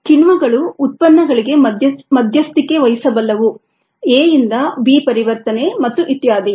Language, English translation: Kannada, then the enzymes could mediate products from, let say from a, to be conversion and so on, so forth